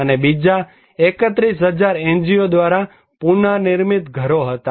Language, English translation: Gujarati, And, another 31,000 was NGO reconstructed houses